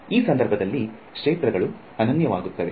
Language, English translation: Kannada, So, in this case the fields are going to be unique